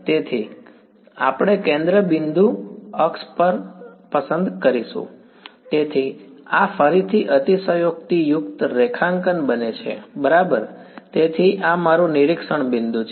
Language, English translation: Gujarati, So, we will choose the centre point axis so, what becomes like this again exaggerated drawing ok, so this is my observation point ok